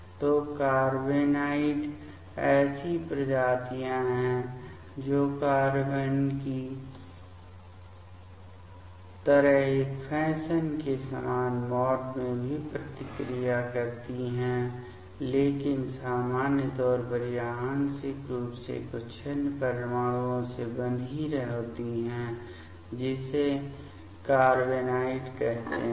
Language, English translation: Hindi, So, carbenoids are the species that also reacts in a similar mode of a fashion like carbenes, but in general that is partially bound to some other atoms; that is called carbenoids